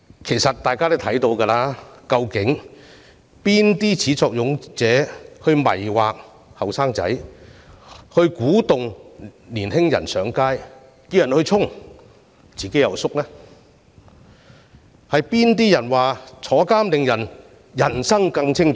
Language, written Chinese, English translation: Cantonese, 其實大家都知道誰是始作俑者，他們迷惑年輕人，鼓動年輕人上街和衝擊，但自己卻退縮於後方，是誰說坐牢令人生更精彩？, It has been obvious to all who the culprits are . They baffled young people and encourage them to take to the streets and clash with the Police while they themselves hide behind the scene . Who said that going behind bars could enrich ones life?